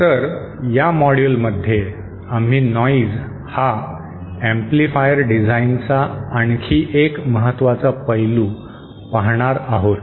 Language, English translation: Marathi, So in this module we will be covering another important aspect of amplifier design which is the noise aspect